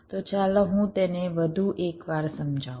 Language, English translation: Gujarati, so let me just explain it once more